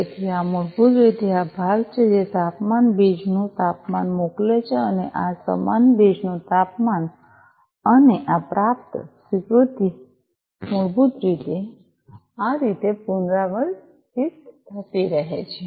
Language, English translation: Gujarati, So, these are basically this part sending temperature humidity temperature equal to this humidity equal to this and acknowledgement received this basically keeps on repeating like this